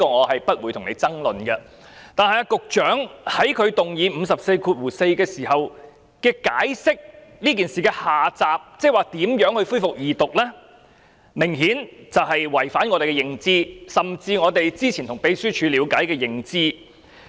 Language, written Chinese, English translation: Cantonese, 我不會與你爭論這一點，但局長在根據第544條動議議案時所解釋這件事的下集，即如何恢復二讀，明顯違反我們的認知，甚至我們之前從秘書處所得的認知。, I will not argue with you on this point but the sequel to this matter namely how to resume the Second Reading debate as explained by the Secretary when he moved the motion under RoP 544 obviously contradicts our perceptions including even the perception we previously gained from the Secretariat